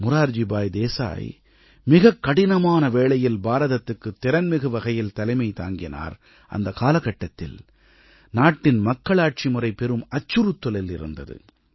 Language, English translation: Tamil, Morarji Desai steered the course of the country through some difficult times, when the very democratic fabric of the country was under a threat